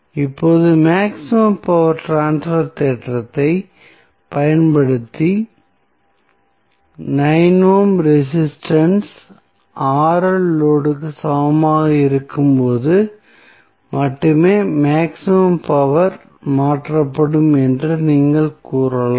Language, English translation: Tamil, Now, using maximum power transfer theorem, what you can say that the maximum power will be transferred only when the 9 ohm resistance is equal to the load that is Rl